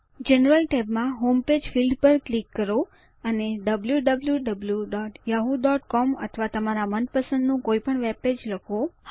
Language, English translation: Gujarati, In the General tab, click on Home Page field and type www.yahoo.com or any of your preferred webpage